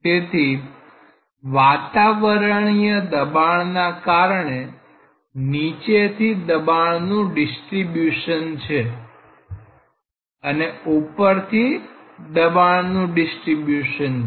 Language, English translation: Gujarati, So, there is a pressure distribution from the bottom, there is a pressure distribution from the top which is because of the atmospheric pressure